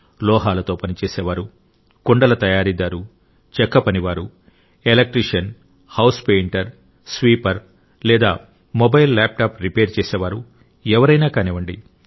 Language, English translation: Telugu, Look around yourself; be it an ironsmith, a potter, a carpenter, an electrician, a house painter, a sanitation worker, or someone who repairs mobilelaptops